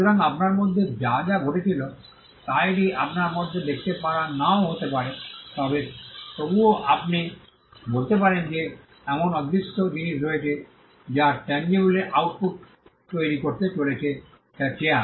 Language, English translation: Bengali, So, all that goes into you may not be able to see it in you may not be able to see it, but nevertheless you can say that there are intangible things that have gone into the creation of the tangible output which is the chair